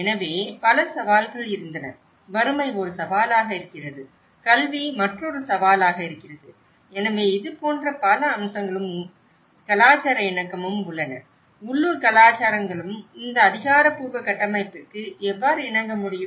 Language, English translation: Tamil, So, there have been many challenges, poverty being one of the challenge, education being another challenge, so like that, there are many aspects which and the cultural compliance you know, how the local cultures also able to comply with these authoritative frameworks